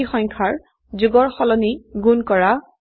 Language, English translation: Assamese, Multiplying two numbers instead of adding